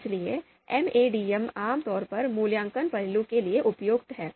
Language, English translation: Hindi, So MADM, this is typically suitable for evaluation facet